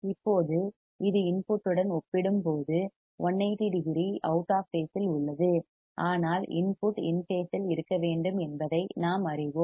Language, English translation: Tamil, Now, this is 180 degrees out of phase right compared to the input, but we know that the input should be in phase